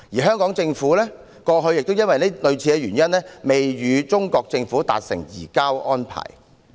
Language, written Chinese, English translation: Cantonese, 香港政府過去亦基於類似的原因，未能與中國政府達成移交安排。, For similar reasons the Hong Kong Government has not been able to conclude an agreement on the surrender arrangements with the Chinese Government in the past